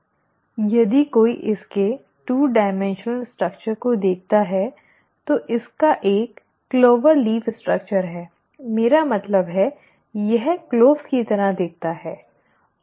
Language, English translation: Hindi, If one were to look at its two dimensional structure, it has a clover leaf structure, I mean; it looks like the cloves